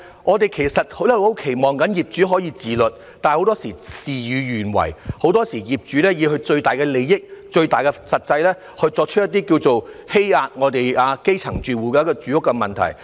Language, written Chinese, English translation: Cantonese, 我們其實很期望業主可以自律，但很多時事與願違，業主以最大的利益、最大的實際考慮，做出一些"欺壓"我們基層住戶的住屋問題。, We actually hope so much that landlords can observe self - discipline yet things often turn out contrary to our wishes . Landlords make their consideration on the utmost interests and practical concerns giving rise to some housing problems that exploit our grass - roots households